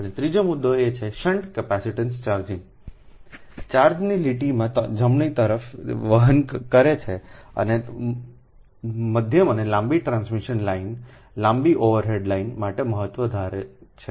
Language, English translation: Gujarati, and third point is the shunt capacitance causes charging current to flow in the line right and assumes importance for medium and long transmission line, long overhead lines